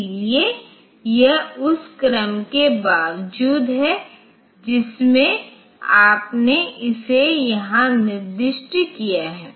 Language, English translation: Hindi, So, it is irrespective of the order in which you have specified it in this here